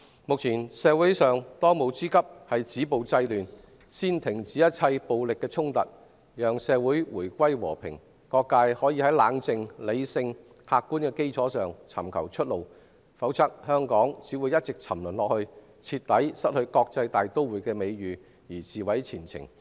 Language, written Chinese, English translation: Cantonese, 目前，當務之急是止暴制亂，先停止一切暴力衝突，讓社會回歸和平，各界可以在冷靜、理性和客觀的基礎上尋求出路，否則香港只會一直沉淪，徹底失去國際大都會的美譽，自毀前程。, At present it is imperative to stop violence and curb disorder stop all violent conflicts first and let society return to peace . All sectors in the community can seek a way out on the basis of calmness rationality and objectivity . Otherwise Hong Kong will only continue to sink and completely lose its reputation as an international metropolis with its future ruined by itself